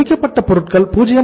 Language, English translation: Tamil, Finished goods was 90